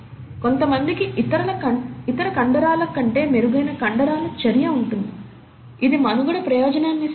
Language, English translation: Telugu, Some people have a better muscle activity than the other, does it provide a survival advantage